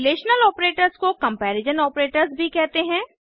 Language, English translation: Hindi, Relational operators are also known as comparison operators